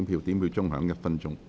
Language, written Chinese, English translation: Cantonese, 表決鐘會響1分鐘。, The division bell will ring for one minute